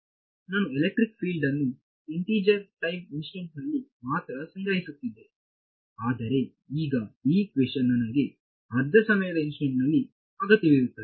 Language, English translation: Kannada, I was storing electric field only at integer time instance, but now this equation is requiring that I also needed at half a time instant